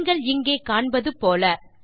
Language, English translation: Tamil, As you can see here